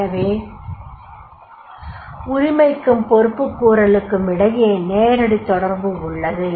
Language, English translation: Tamil, So there is a direct relationship between the ownership and accountabilities